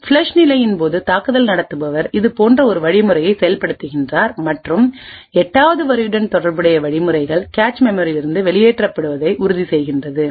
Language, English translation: Tamil, During the flush phase the attacker executes a line like this, during the flush phase the attacker executes an instruction such as this and ensures that instructions corresponding to line 8 are flushed from the cache memories